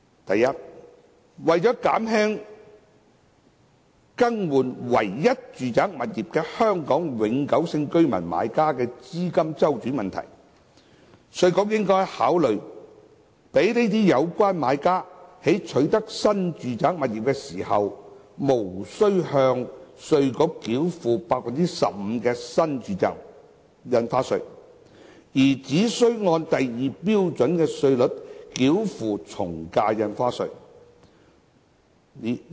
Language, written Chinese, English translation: Cantonese, 第一，為減輕更換唯一住宅物業的香港永久性居民買家的資金周轉問題，稅務局應該考慮讓有關買家在取得新住宅物業時，無須向稅務局繳付 15% 的新住宅印花稅，而只須先按第2標準稅率繳付從價印花稅。, First to ease the cash flow problem of HKPR - buyers who intend to replace their only residential property IRD should consider allowing buyers to pay AVD at Scale 2 rates rather than the NRSD rate of 15 % when acquiring a new residential property in the first instance